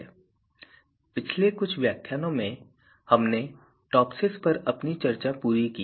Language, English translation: Hindi, So, in previous few lecture we completed our discussion on TOPSIS